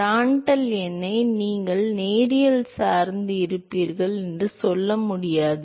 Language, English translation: Tamil, You cannot say that you will have a linear dependence on Prandtl number